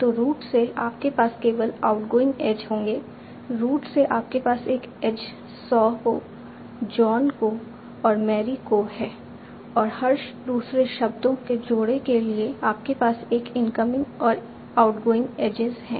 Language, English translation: Hindi, From root you have an edge to saw to John and to Mary and for every other pair of words you have an incoming and outgoing age